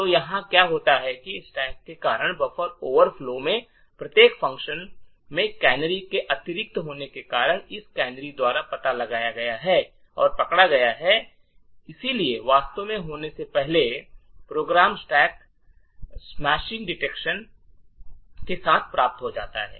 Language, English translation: Hindi, So what has happened here is due to the addition of the canaries in each function in the stack the buffer overflows due to the string copy gets detected and caught by these canaries and therefore before subversion actually happens, the program terminates with a stack smashing detection